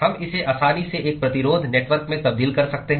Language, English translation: Hindi, We can easily translate it into a resistance network